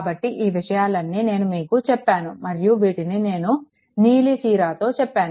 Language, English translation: Telugu, So, all these things have been explained and told by blue ink, right